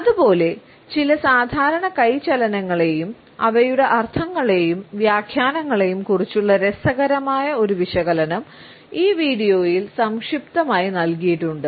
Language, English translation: Malayalam, Similarly, we find that an interesting analysis of some common hand movements and their meanings and interpretations are succinctly given in this video